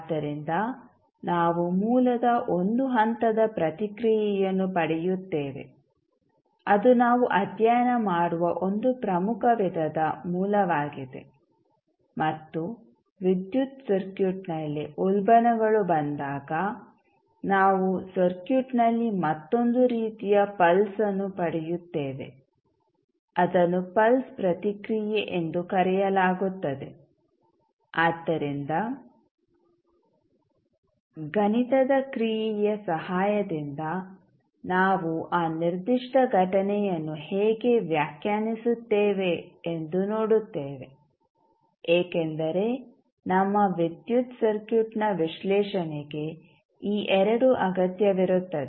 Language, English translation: Kannada, So, we will get one step response of the source so, that is one important type of source which we will study plus when we have the surges coming in the electrical circuit we get another type of pulse in the circuit, that is called the pulse response so, that also we will see how we will interpret that particular event with the help of mathematical function because these two are required for analysis of our electrical circuit so we will see how we will represent both of them in a mathematical term